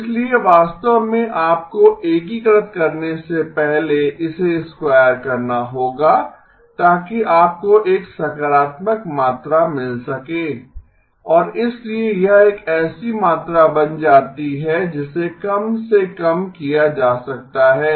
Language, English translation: Hindi, So actually you have to square it before you integrate so that you get a positive quantity and therefore it becomes a quantity that can be minimized